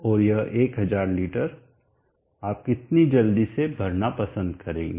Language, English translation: Hindi, And this 1000 leaders how soon do you like it that we filled up